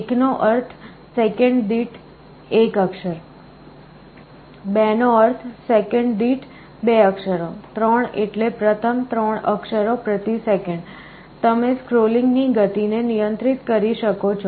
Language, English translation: Gujarati, 1 means 1 character per second, 2 means 2 characters per second, 3 means first of 3 characters per second, you can control the speed of scrolling